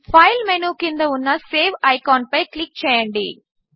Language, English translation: Telugu, Click on the Save icon that is below the File menu